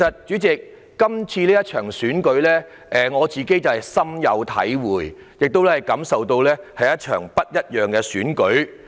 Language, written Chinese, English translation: Cantonese, 主席，對於這次選舉，我深有體會，亦感受到這是一場不一樣的選舉。, President I do have a strong feeling about the coming election and realize that this election is different from those held previously